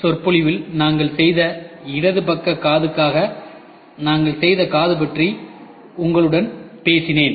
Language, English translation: Tamil, In the introductory lecture I was talking to you about the ear, which we made for the left side ear we made